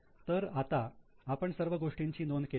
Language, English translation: Marathi, So, now we have noted everything